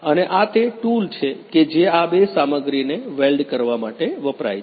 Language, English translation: Gujarati, And this is the tool which is going to weld these two materials